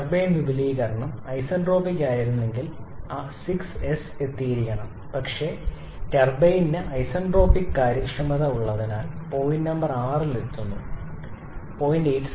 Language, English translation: Malayalam, Had the turbine expansion been isentropic it should have reached point 6s but we are reaching point number 6 because the turbine has an isentropic efficiency of 0